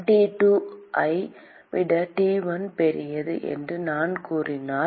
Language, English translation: Tamil, Supposing, if I say T1 is greater than T2